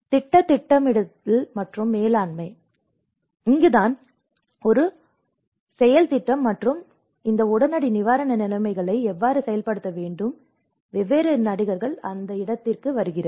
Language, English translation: Tamil, The project planning and management: So, this is where a strategic action plan and how this immediate relief conditions has to be operated because the different actors come into the place